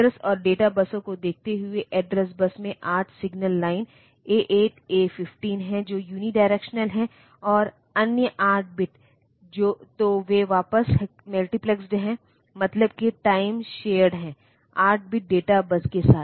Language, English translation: Hindi, Looking at the address and data buses, the address bus has 8 signal lines A 2 A 15 which are unidirectional, and the other 8 bit so, they are multiplexed back; that is time shared with eight bit data bus